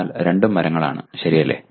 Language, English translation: Malayalam, But both are trees, okay